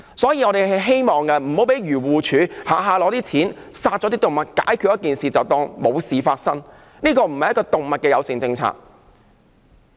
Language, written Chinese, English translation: Cantonese, 所以，我們希望不要讓漁護署輕易用錢殺動物，解決事情後便當作沒事發生，這並非動物友善政策。, Hence we do not want AFCD to be so easily given the money to kill animals . It thinks that it has solved the problem by killing them . But this is not an animal - friendly policy